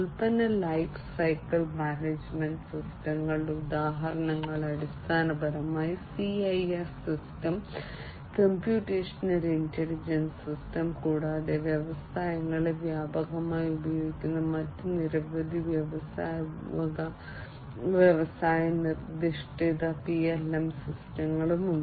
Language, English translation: Malayalam, Examples of product lifecycle management systems are basically, the CIS system, computational intelligent system, and there are many different other industry specific PLM systems that are widely used in the industries